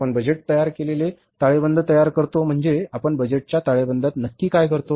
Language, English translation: Marathi, When you prepare the budgeted balance sheet, what we do in the budgeted balance sheet